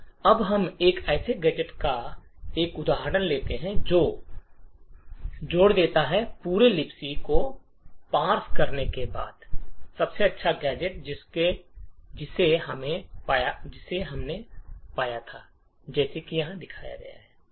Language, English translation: Hindi, Now let us take another example of a gadget which does addition, after parsing the entire libc file the best gadget that we had found is as one showed over here